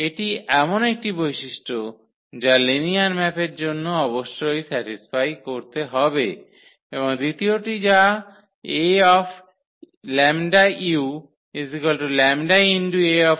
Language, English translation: Bengali, This is one of the properties which must satisfy for the linear map and the second one that the A times lambda u